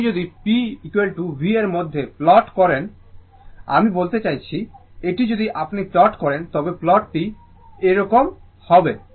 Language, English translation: Bengali, If you plot P is equal to V into I of this one, I mean this one if you plot, the plotting will be like this